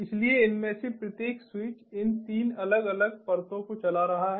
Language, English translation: Hindi, so each of these switches is running these three different layers